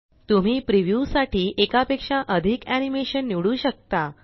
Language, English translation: Marathi, You can also select more than one animation to preview